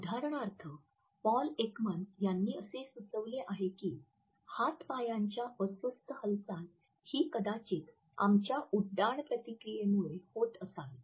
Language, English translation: Marathi, For example, Paul Ekman has suggested that restless movements of hands and feet are perhaps a throwback to our flight reactions